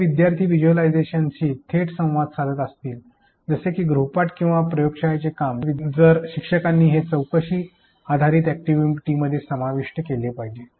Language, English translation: Marathi, If the students are directly interacting with the visualization such as homework or lab work then teachers should integrate it with inquiry based activities